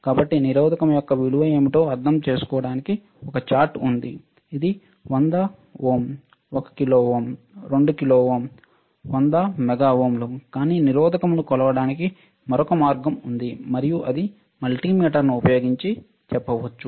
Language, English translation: Telugu, So, there is a chart to understand what is the value of the resistor; whether it is 100 ohm 1 kilo ohm 2 kilo ohm 100 mega ohms, but there is another way of measuring the resistance and that is using the multimeter